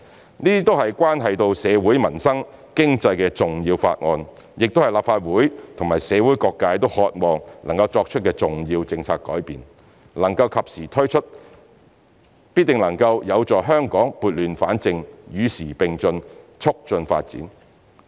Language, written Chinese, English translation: Cantonese, 這些都是關係到社會、民生、經濟的重要法案，亦是立法會和社會各界都渴望能作出的重要政策改變，能及時推出，必定能夠有助香港撥亂反正，與時並進，促進發展。, These are important bills that have a bearing on society peoples livelihood and the economy . It is also a timely and important policy change that the Legislative Council and the community are eager to see as it will certainly help Hong Kong to put things right to keep abreast of the times and to promote development